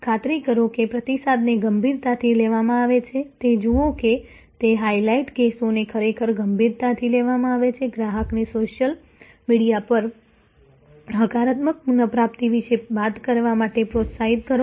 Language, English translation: Gujarati, Assure that the feedback is taken seriously see that, it is truly taken seriously highlight the cases, encourage the customer to go to the social media and talk about the positive recovery